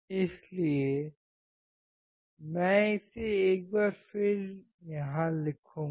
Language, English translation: Hindi, So, I will write it down here once again